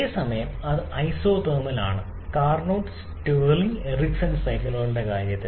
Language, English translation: Malayalam, Whereas that is isothermal in case of Carnot, Stirling and Ericsson cycles